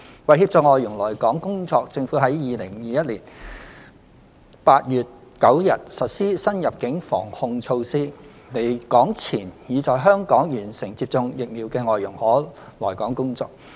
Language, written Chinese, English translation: Cantonese, 為協助外傭來港工作，政府於2021年8月9日實施新入境防控措施，離港前已在香港完成接種疫苗的外傭可來港工作。, To facilitate FDHs to come to work in Hong Kong the Government implemented new border control measures on 9 August 2021 . For FDHs who have been fully vaccinated in Hong Kong before they left Hong Kong they can come to work in Hong Kong